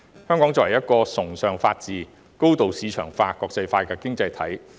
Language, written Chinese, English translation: Cantonese, 香港是一個崇尚法治、高度市場化、國際化的經濟體。, Hong Kong is a highly marketized and internationalized economy respecting the rule of law